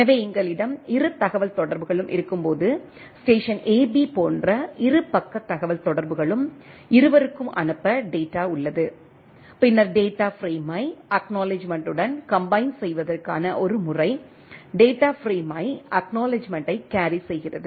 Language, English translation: Tamil, So, when we have a both communication, both side communication like station AB, both have data to send then the a method to combine data frame with acknowledgement, the data frame itself carry the acknowledgement